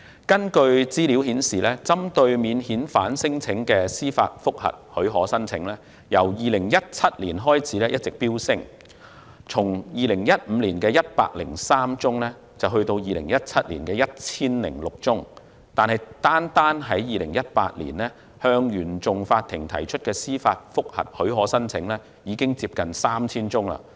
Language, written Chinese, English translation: Cantonese, 根據資料顯示，針對免遣返聲請的司法覆核許可申請，由2017年開始一直飆升，從2015年103宗增至2017年的 1,006 宗，但單是2018年，向原訟法庭提出的司法覆核許可申請已接近 3,000 宗。, Information shows that the application for judicial review relating to non - refoulement claims has been increasing since 2017 from 103 cases in 2015 to 1 006 cases in 2017 . In 2018 alone there were nearly 3 000 judicial review applications filed with CFI